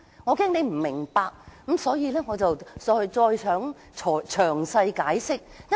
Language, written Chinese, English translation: Cantonese, 我怕你不明白，所以詳細解釋。, As I am afraid that you do not see the point I have to explain in detail